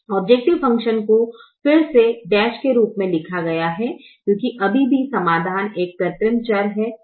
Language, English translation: Hindi, the value of the objective function is again written as dash because there is still an artificial variable in the solution